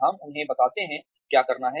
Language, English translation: Hindi, We tell them, what to do